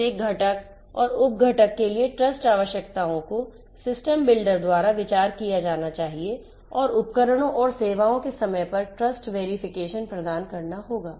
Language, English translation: Hindi, The trust requirements for every component and sub component has to be considered by the system builder and timely trust verification of the devices and services will have to be provided